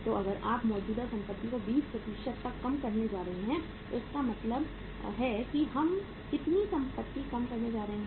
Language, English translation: Hindi, So if you are going to reduce the current assets by 20% it means how much assets we are going to reduce